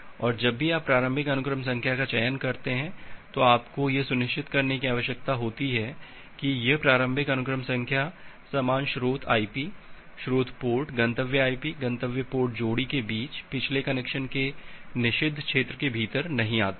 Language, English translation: Hindi, And whenever you are selecting the initial sequence number, you need to ensure that this initial sequence number do not fall within the forbidden region of the previous connection between the same source IP, source port, destination IP, destination port pair